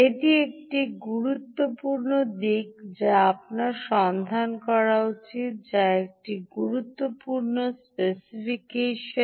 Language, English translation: Bengali, ok, this is an important aspect which you should look for, which is an important specification you should look for